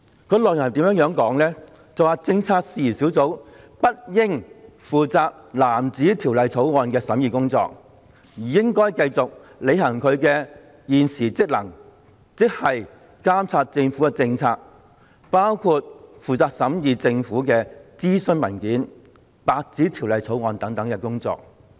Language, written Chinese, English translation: Cantonese, 有關內容如下："政策事宜小組不應負責藍紙條例草案的審議工作，而應繼續履行其現時職能，此即監察政府政策，包括負責審議政府的諮詢文件、白紙條例草案等工作。, The relevant contents read as follows Panels on policy issues should not be tasked with the scrutiny of blue bills but continue to perform their present duties of monitoring government policies including scrutinizing the government consultation papers white bills etc